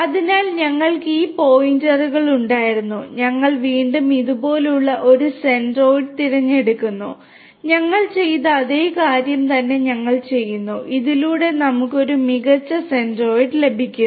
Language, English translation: Malayalam, So, we had these points, we again choose a centroid like this; we do exactly the same thing that we have done and we get a better centroid through this